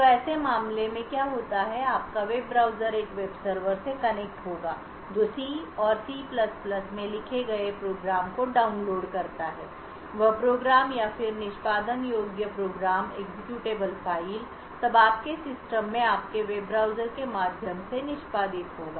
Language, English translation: Hindi, So in such a case what would happen is your web browser will connect to a web server download a program written in say C and C++ that program or that executable would then execute through your web browser in your system